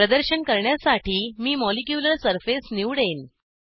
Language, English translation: Marathi, For demonstration purpose, I will select Molecular surface